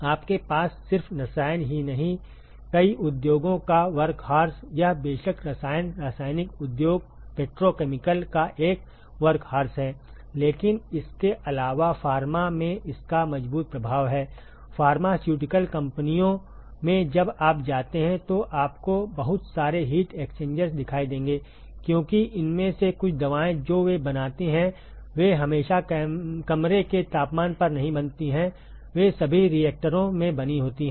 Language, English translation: Hindi, Workhorse of many industries not just chemical you have; it is a workhorse of chemical of course, chemical industries, petrochemical, but in addition to that it has strong implication in pharma; in pharmaceutical companies when you go you will see lot of these heat exchangers, because some of these drugs that they make they are not always made at room temperature they are all made in reactors